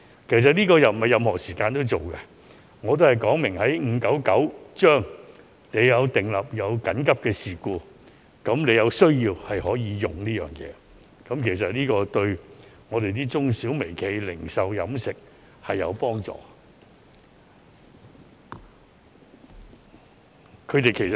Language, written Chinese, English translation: Cantonese, 這個方案並非任何時間也適用，只有在根據《預防及控制疾病條例》下出現的緊急事故時才可使用，但對於中小微企、零售、飲食業等絕對有幫助。, The proposal is not applicable at any time but only when we are in a state of public health emergency under the Prevention and Control of Disease Ordinance Cap . 599 . And yet this will definitely be helpful to SMEs in the retail and catering industries